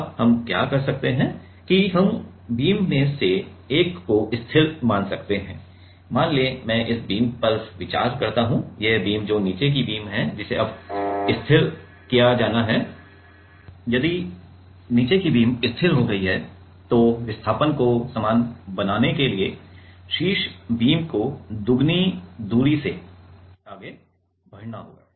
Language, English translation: Hindi, Now, what we can do here is we can consider one of the beam to be stationary let us say I consider these beam, these beam that is the bottom beam to be fixed now if the bottom beam is fixed then to make the displacement same the top beam have to move by double the distance